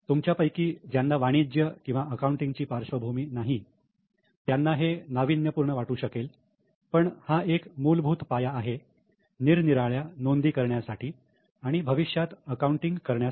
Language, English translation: Marathi, For those who do not have any commerce or such type of accounting background, this may be very new, but this forms the basis of all other entry or various entries or various accounting which is done in future